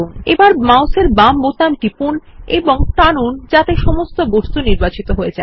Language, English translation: Bengali, Now press the left mouse button and drag so that all the objects are selected